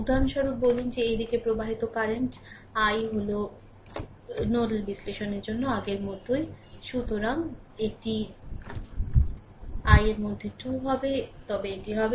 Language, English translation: Bengali, For example, say current flowing in this direction is i, then same as before for nodal analysis we have seen